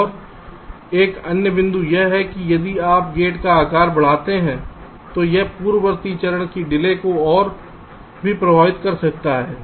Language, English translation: Hindi, and another point is that if you increase the size of the gate, it may also affect the delay of the preceding stage